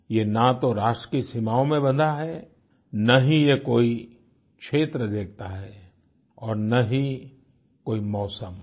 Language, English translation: Hindi, It is not confined to any nation's borders, nor does it make distinction of region or season